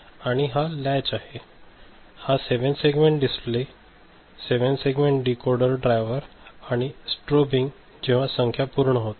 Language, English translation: Marathi, So, this is the latch ok, this is 7 segment display, the 7 segment decoder driver, display, this is strobing of it whenever this count has been completed